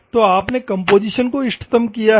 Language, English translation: Hindi, So, you have optimised the composition